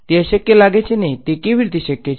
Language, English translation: Gujarati, It seems impossible, how is it possible right